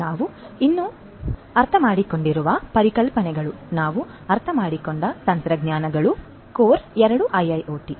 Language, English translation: Kannada, We are going to still borrow, those concepts that we have understood the technologies that we have understood are core two IIoT